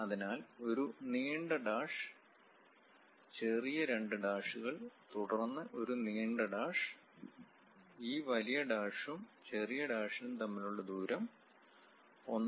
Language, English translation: Malayalam, So, a long dash, small two dashes followed by long dash; the gap between these long dash and short dash is 1